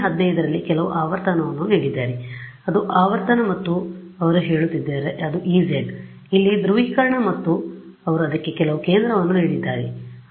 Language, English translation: Kannada, 15 that is the frequency and they are saying that is E z polarisation over here and they have given some centre for it ok